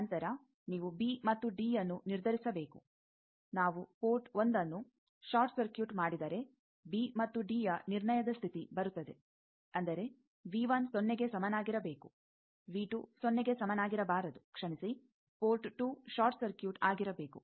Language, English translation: Kannada, Then you need to determine B and D the condition for B and D determination will come if we short circuit port one; that means, they require that V 1 should be equal to 0 not V 2 is equal to 0 port sorry port 2 is short circuit